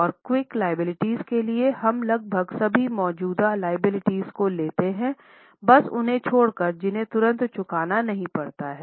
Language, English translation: Hindi, And for quick liabilities, we consider almost all current liabilities except those which don't have to be repaid immediately